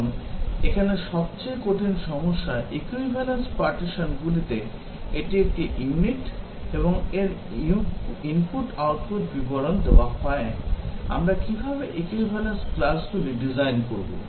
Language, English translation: Bengali, Now, the hardest problem here, in equivalence partitioning is that, given a unit and its input output description, how do we design the equivalence classes